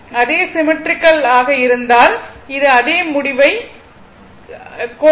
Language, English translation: Tamil, It is same symmetrical you will get the same result right